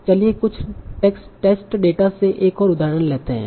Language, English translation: Hindi, So let us take another example from some text data